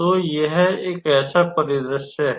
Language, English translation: Hindi, So, this is one such scenario